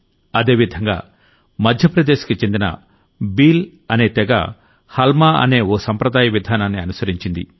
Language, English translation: Telugu, Similarly, the Bhil tribe of Madhya Pradesh used their historical tradition "Halma" for water conservation